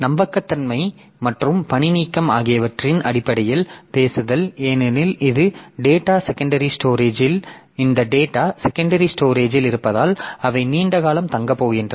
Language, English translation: Tamil, Talking in terms of reliability and redundancy, so because this data in the secondary storage so they are going to stay for a long period of time